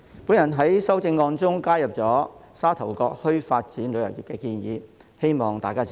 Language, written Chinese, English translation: Cantonese, 主席，我在修正案中加入沙頭角墟發展旅遊業的建議，希望大家支持。, President I have added the proposal of developing tourism in Sha Tau Kok Town in my amendment . I hope that Members will support it